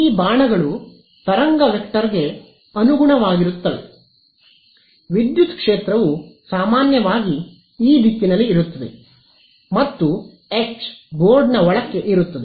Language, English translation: Kannada, These arrows correspond to the wave vector which way will the electric field be in general, E will be like this right and H will be into the board right